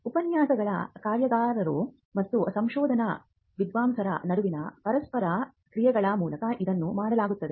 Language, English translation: Kannada, This is done through lectures workshops and interactions between the research scholars